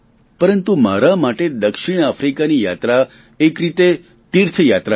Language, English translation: Gujarati, But for me the visit to South Africa was more like a pilgrimage